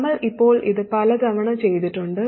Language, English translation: Malayalam, We have done this many times now